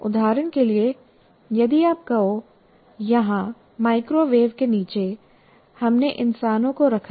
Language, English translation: Hindi, For example, if you say here under microwave microwave we have put humans here